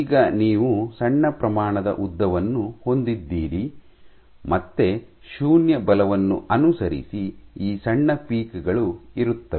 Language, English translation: Kannada, Now you have a small amount of length again 0 force followed by these small peaks